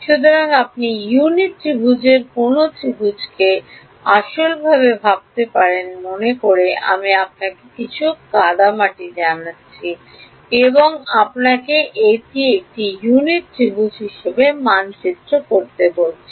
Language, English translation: Bengali, So, can you map any triangle to the unit triangle physically think about supposing I give you know some clay and I ask you to map it into a unit triangle